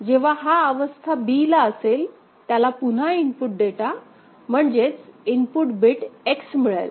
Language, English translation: Marathi, So, when it is at state b, again it receives an input data, input bit which is X